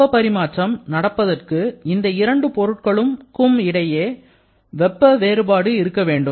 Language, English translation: Tamil, And to have any kind of heat transfer, we need to have a certain amount of temperature difference between the two bodies